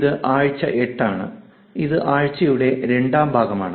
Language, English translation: Malayalam, This is week 8, and this is the second part of the week